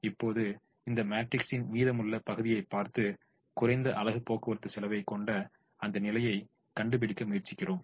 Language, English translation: Tamil, now we look at the remaining portion of this matrix and try to find out that position which has the least unit cost of transportation